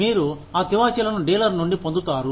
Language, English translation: Telugu, You get those carpets, from the dealer